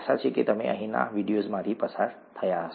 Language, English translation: Gujarati, Hopefully you have gone through the videos here